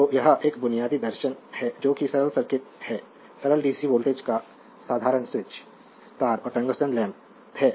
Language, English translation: Hindi, So, this is a basic philosophy you have your what you call that is simple circuit is simple dc volt a simple switch wires and your tungsten lamp